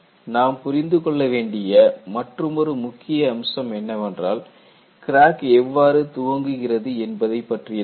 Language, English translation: Tamil, See, another important aspect that we have to understand is, how does crack initiates